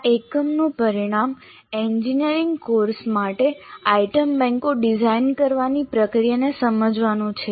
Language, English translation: Gujarati, The outcomes for this unit are understand the process of designing item banks for an engineering course